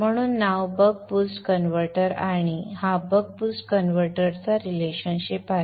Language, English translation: Marathi, 5 hence the name buck boost converter and this is the relationship for the buck boost converter